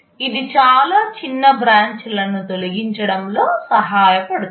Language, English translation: Telugu, This helps in removing many short branches